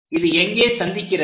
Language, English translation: Tamil, So, where it is intersecting